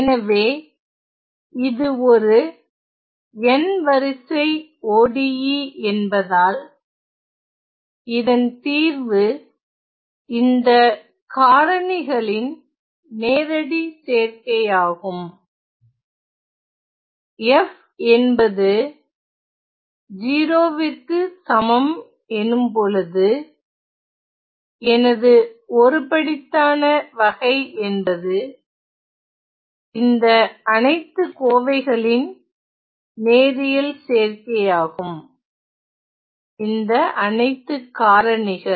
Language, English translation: Tamil, So, this is since this is an nth order ODE my solution is a linear combination of all these factors, I see that my homogeneous case is for f is identically equal to 0 is a linear combination of all these expressions, all these factors ok